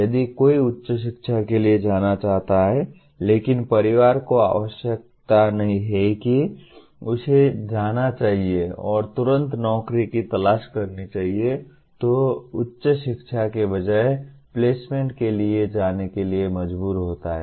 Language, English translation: Hindi, If somebody wants to go for a higher education but the family requires that he has to go and immediately seek a job, then he is forced to go for placement rather than higher education